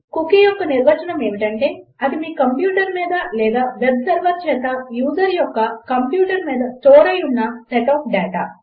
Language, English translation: Telugu, The definition of a cookie is a set of data stored on your computer or the users computer by the web server